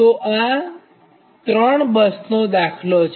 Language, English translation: Gujarati, so this is one, two, three